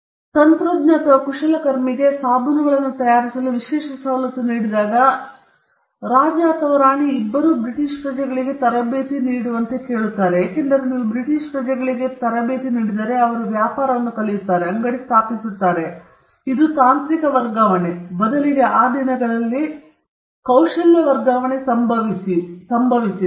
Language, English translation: Kannada, So, when a technician or a craftsman was given an exclusive privilege to manufacture soaps, for instance, the King or the Queen would ask the craftsman to train two British nationals, because if you train to British nationals eventually they will learn the trade, they will set up shop, and this was a way in which technology transfer or rather let us call it skill transfer happened in those days